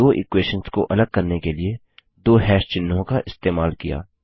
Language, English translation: Hindi, We have used the double hash symbols to separate the two equations